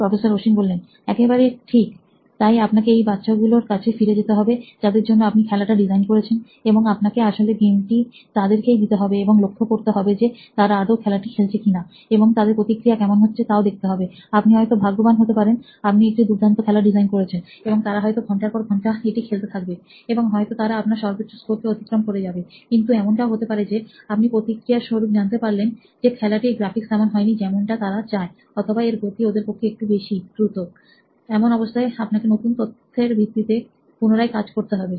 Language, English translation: Bengali, Absolutely right, so you have to go back to these kids that you are designing the game for and you actually have to then start giving them the game and see even if they actually play with it and see what their reactions are right, you might be lucky, you might have designed a wonderful game and they might play it for hours and they might beat your high scores and all of that, but it also very likely that you know, you will get some very good feedback on the fact that maybe the graphics are not quite the way they wanted it to be, maybe it is a little bit too fast for them and so essentially what you will have to do is come back to the drawing board again with this new information